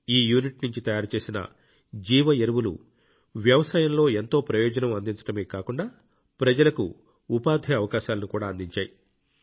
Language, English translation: Telugu, The biofertilizer prepared from this unit has not only benefited a lot in agriculture ; it has also brought employment opportunities to the people